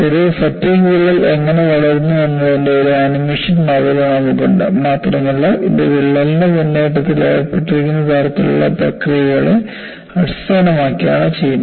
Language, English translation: Malayalam, And we have a model of how does a fatigue crack grow as an animation, and this is purely done based on the kind of processes that are involved in advancement of the crack